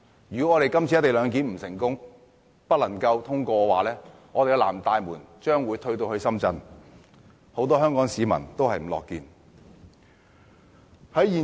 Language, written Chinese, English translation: Cantonese, 如果今次有關"一地兩檢"的《條例草案》不能通過的話，"南大門"將會退至深圳，這並非很多香港市民所樂見。, Should this Bill which is related to the co - location arrangement cannot be passed this time around the South Gate will retreat back to Shenzhen . This is not welcome news to Hong Kong people